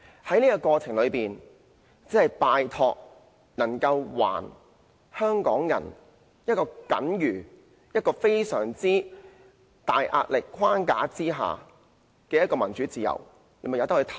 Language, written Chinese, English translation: Cantonese, 在過程中，拜託給予香港人在一個壓力非常大的框架下那點僅餘的民主自由，任由選委自行投票。, The election is being held under a framework with so many restrictions that Hong Kong people have scarcely any freedom or democracy left . So please let EC members cast their votes according to their own wills